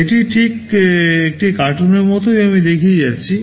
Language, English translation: Bengali, This is just like a cartoon I am showing